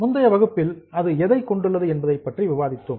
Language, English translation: Tamil, In our last session we have discussed what does it consist of